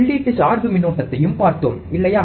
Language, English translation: Tamil, So, we have also seen the input bias current, right